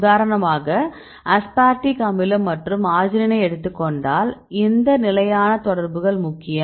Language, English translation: Tamil, For example, if we take aspartic acid and arginine, which stable interactions are important